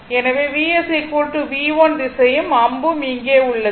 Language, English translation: Tamil, Therefore, V s equal to V 1 this direction and arrow is here